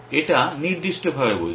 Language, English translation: Bengali, It is saying specificity